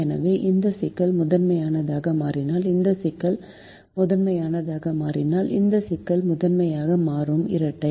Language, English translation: Tamil, so you observed that if this problem becomes the primal, then if this problem becomes the primal, then this problem will become the dual